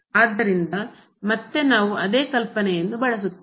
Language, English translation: Kannada, So, again we will use the same idea